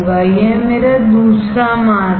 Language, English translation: Hindi, This is my second mask